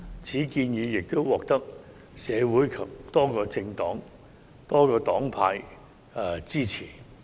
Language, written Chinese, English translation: Cantonese, 此建議獲得社會及多個黨派支持。, This proposal is supported by society and various parties